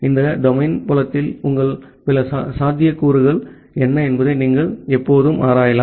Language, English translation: Tamil, You can always explore what are the other possibilities in this domain field